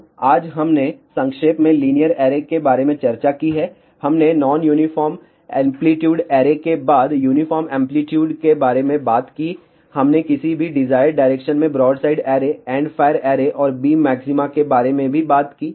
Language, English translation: Hindi, So, just to summarize today we discussed about linear array, we talked about uniform amplitude followed by non uniform amplitude array, we also talked about broadside array, endfire array, and the beam maxima in any desired direction